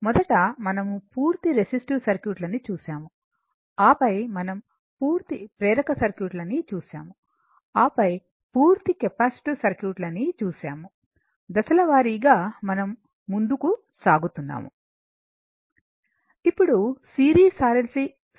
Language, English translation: Telugu, First we saw that is your purely resistive circuit, then we saw purely inductive circuit, then we saw purely capacitive circuit, step by step we are moving